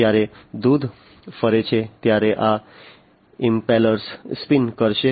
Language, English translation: Gujarati, These impellers would spin, when the milk moves